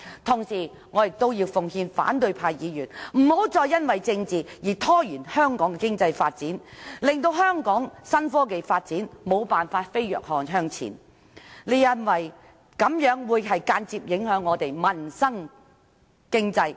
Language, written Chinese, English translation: Cantonese, 同時，我要奉勸反對派議員，不要再因為政治而拖延香港的經濟發展，令香港的新科技發展無法飛躍向前，這樣會間接影響香港的民生和經濟。, Meanwhile I wish to advise Members of the opposition camp to stop delaying Hong Kongs economic development for the sake of politics for this would cause the development of new technologies to be unable to leap forward in Hong Kong . They will indirectly affect the peoples livelihood and the economy in Hong Kong